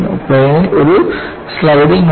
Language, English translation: Malayalam, There is a sliding in the plane